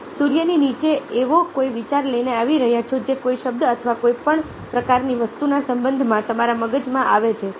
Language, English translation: Gujarati, you are coming up with any idea under the sun which comes your mind in relation to some word, on a, any kind of thing